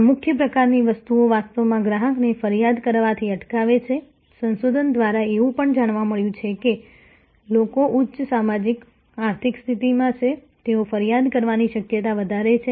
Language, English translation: Gujarati, This key sort of things actually prohibits the deters the customer from complaining, it is also found through research, that people who are in the higher socio economic stata, they are more likely to complaint